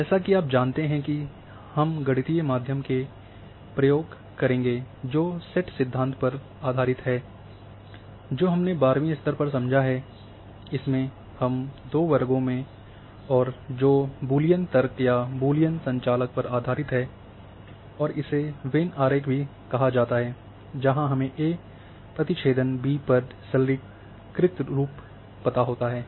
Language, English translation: Hindi, As you know that we have gone through the mathematics which is based on the set theory and in our ten plus two classes and which is based on the Boolean logic or Boolean operators and this is also called Venn diagram, where we know that a intersection b how in a simplified form